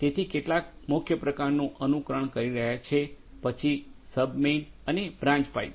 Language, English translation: Gujarati, So, some are simulating kind of mains then sub mains and branch pipe